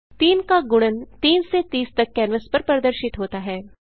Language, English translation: Hindi, Multiples of 3 from 3 to 30 are displayed on the canvas